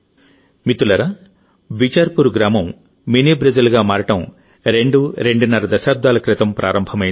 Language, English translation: Telugu, Friends, The journey of Bichharpur village to become Mini Brazil commenced twoandahalf decades ago